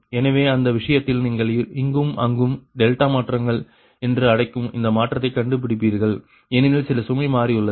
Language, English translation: Tamil, so in that case you will find that change changes, that what you call your delta changes here and there because some load has changed